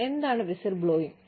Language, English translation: Malayalam, What is whistleblowing